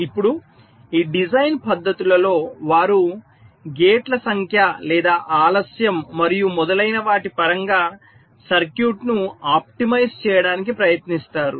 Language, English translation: Telugu, these design methodologies, they try to optimize the circuit in terms of either the number of gates or the delay and so on